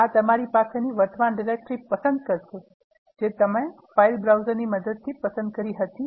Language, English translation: Gujarati, This will select the current directory, which you have chosen using this file browser as your working directory